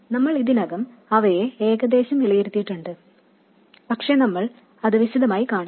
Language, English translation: Malayalam, We have already evaluated them roughly but we will see that in detail